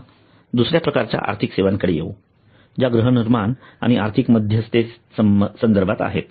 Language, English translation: Marathi, now coming to another type of financial services which is housing and financial intermediation